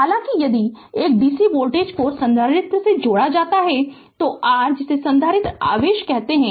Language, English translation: Hindi, However, if a dc voltage is connected across a capacitor, the your what you call the capacitor charges